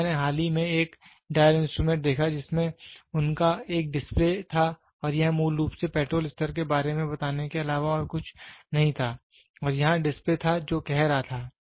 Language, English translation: Hindi, So, I recently saw a dial instrument wherein which they had a display and this was basically nothing but to tell about the petrol level and here was the display which said